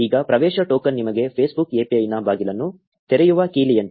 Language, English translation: Kannada, Now an access token is like a key which opens the door of the Facebook API for you